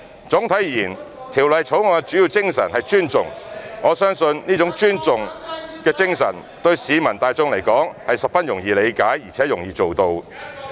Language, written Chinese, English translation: Cantonese, 總體而言，《條例草案》的主要精神是尊重，我相信這種尊重精神對市民大眾而言是十分容易理解，而且容易做到的。, Overall speaking the main spirit of the Bill is respect which I believe is easy to understand and not hard to follow by the general public